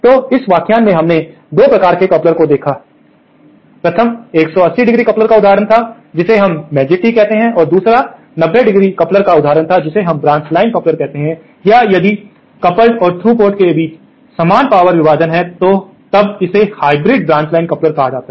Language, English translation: Hindi, So, in this lecture, we covered 2 types of couplers, the 1st was the example of a 180¡ coupler which we call the Magic Tee and the 2nd was the example of the 90¡ coupler called the branch line coupler or if the if there is equal power division between the through and coupled ports, then it is called branch line hybrid